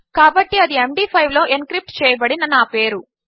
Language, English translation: Telugu, So that is my name encrypted in Md5